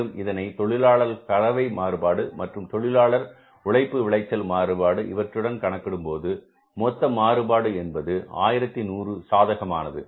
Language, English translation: Tamil, We had to calculate the labor efficiency variance and if you look at the labor efficiency variance, this was 1100 favorable